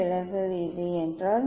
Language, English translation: Tamil, if deviation is this one